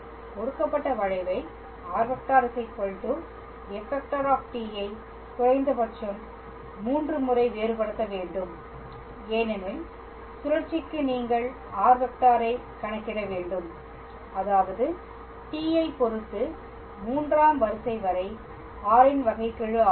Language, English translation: Tamil, We just have to differentiate the given curve r is equal to f t with respect to t at least thrice, because for torsion you need to calculate r triple dot; that means, derivative of r up to third order with respect to t